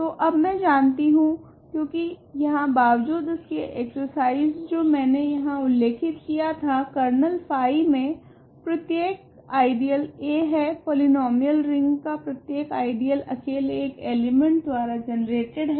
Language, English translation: Hindi, So, now, I know, because of the or the rather the exercise that I mentioned here, every ideal in a kernel phi is a, every ideal in the polynomial ring R x is generated by a single element